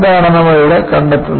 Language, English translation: Malayalam, So,that is what you find here